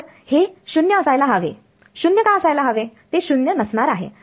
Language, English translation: Marathi, So, it should be 0 why should be 0 that will not be 0